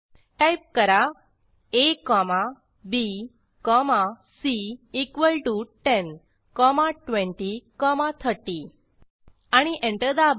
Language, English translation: Marathi, Type a comma b comma c equal to 10 comma 20 comma 30 and press Enter